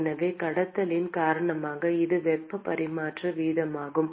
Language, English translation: Tamil, So, this is the heat transfer rate because of conduction